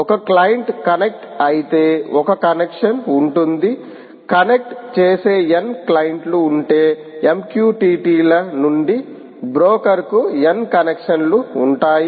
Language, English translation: Telugu, if there are n clients connecting, there will be a n connections from the m q t t s to the broker